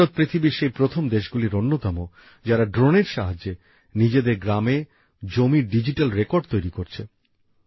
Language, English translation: Bengali, India is one of the first countries in the world, which is preparing digital records of land in its villages with the help of drones